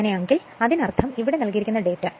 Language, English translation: Malayalam, So, if; that means, these are the data given